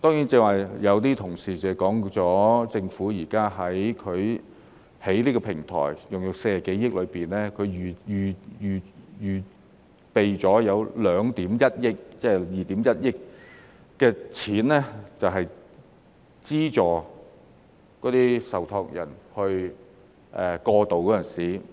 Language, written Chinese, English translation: Cantonese, 另外，有些同事剛才提到，政府現時在這個平台所花的40多億元中，預留了2億 1,000 萬元用作資助受託人過渡時的費用。, Moreover some Honourable colleagues mentioned earlier that of the present government expenditure of some 4 billion on this platform 210 million has been earmarked to subsidize the trustees transition costs